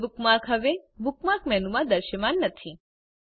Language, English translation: Gujarati, * The google bookmark is no longer visible in the Bookmark menu